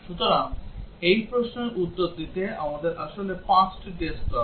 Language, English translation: Bengali, So, to answer this question, we need actually 5 test cases